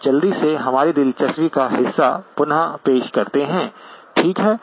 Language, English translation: Hindi, Let us quickly reproduce the part of interest to us, okay